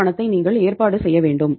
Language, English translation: Tamil, You have to arrange this money